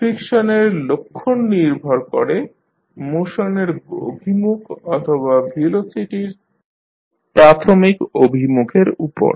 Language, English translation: Bengali, The sign of friction depends on the direction of motion or the initial direction of the velocity